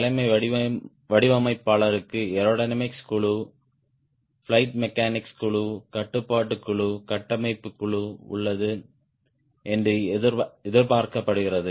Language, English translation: Tamil, it is expected that achieve designer has aerodynamics team, flight mechanics team, control team, structure team